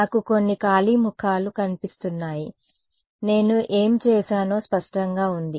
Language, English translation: Telugu, I see a few blank faces, is it clear what I did